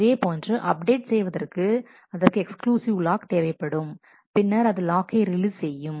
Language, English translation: Tamil, Similarly to update a it takes an exclusive lock on a updates and, then releases a lock